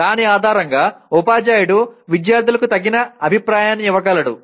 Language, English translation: Telugu, Based on that the teacher can give appropriate feedback to the students